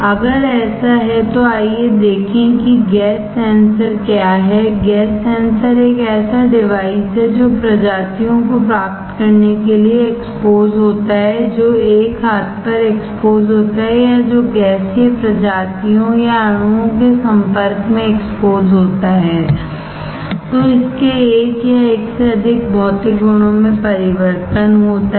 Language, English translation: Hindi, If that is the case let us see what are the gas sensors or gas sensors is a device which exposed to get species, which on exposed one arm or which one exposure to gaseous species or molecules alters one or more of its physical properties